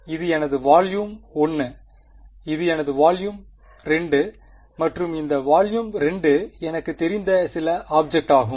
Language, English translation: Tamil, This was my volume 1; this was my volume 2 and this volume 2 is some object which I know